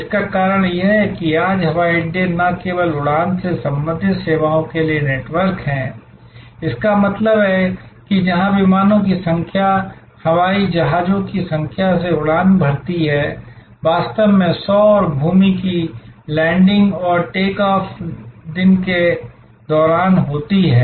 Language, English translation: Hindi, The reason being that today, the airports are not only networks of flying related services; that means, where number of aircrafts land, number of aircrafts take off, in fact 100s and 1000s of landings and take offs happen over the day